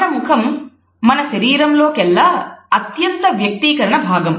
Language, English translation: Telugu, Our face is the most expressive part of our body